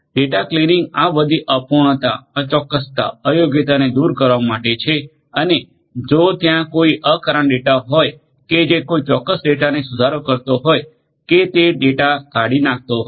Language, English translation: Gujarati, Cleaning of the data to remove all these incompleteness, in inaccuracies, incorrectness that might be there, if there is any unreasonable data that might be there modifying that particular data or deleting that data